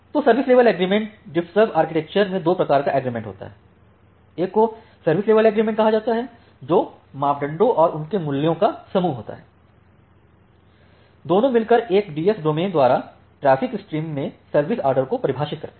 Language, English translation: Hindi, So, the service level agreement; so, we have two type of agreement in DiffServ architecture, one is called a service level agreement which is a set of parameters and their values which together define the service order to a traffic stream by a DS domain